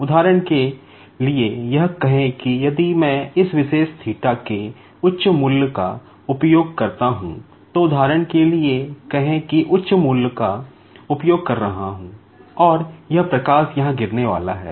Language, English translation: Hindi, For example, say if I use a high value of this particular theta, say for example, I am using a higher value and this light is going to fall here